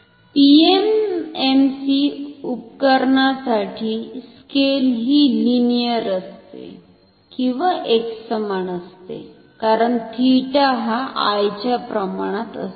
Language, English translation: Marathi, For PMMC instrument the scale is linear or uniform, because theta is proportional to I